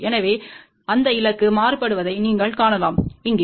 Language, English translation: Tamil, So, you can see that target is shifted here